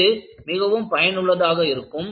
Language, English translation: Tamil, So, this is very useful